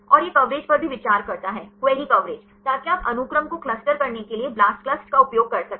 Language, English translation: Hindi, And it also considers the coverage; query coverage, so with that you can use the Blastclust for clustering the sequences